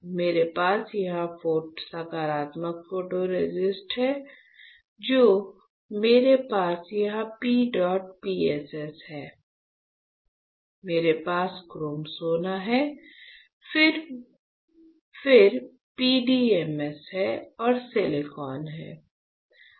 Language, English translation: Hindi, So, what I have here positive photoresist, then I have here P dot PSS, I have chrome gold, then I have PDMS and there is silicon right